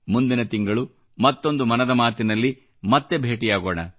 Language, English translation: Kannada, Once again next month we will meet again for another episode of 'Mann Ki Baat'